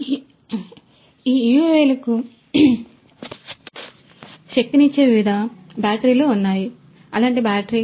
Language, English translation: Telugu, So, there are different batteries that could be used to power these UAVs this is one such battery